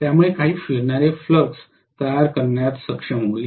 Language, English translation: Marathi, So it will be able to create some revolving flux